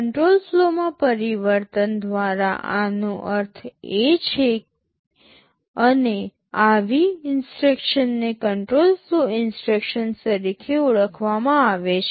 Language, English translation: Gujarati, This is what is meant by change of control flow, and such instructions are termed as control flow instructions